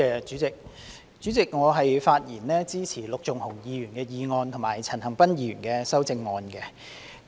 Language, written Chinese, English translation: Cantonese, 主席，我發言支持陸頌雄議員的原議案和陳恒鑌議員的修正案。, President I speak in support of Mr LUK Chung - hungs original motion and Mr CHAN Han - pans amendment